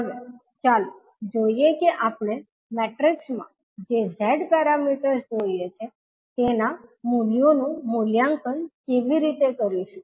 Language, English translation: Gujarati, Now, let us see how we will evaluate the values of the Z quantities which we have seen in the matrix